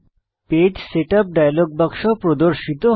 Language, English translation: Bengali, The Page Setup dialog box opens